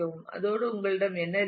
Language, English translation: Tamil, And with that what you have